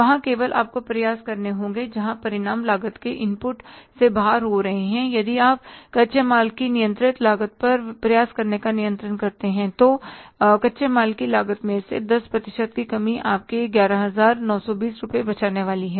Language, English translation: Hindi, If you are controlling, making efforts on the controlling the cost of raw material, 10% reduction in the cost of raw material is going to save for you 11,920 rupees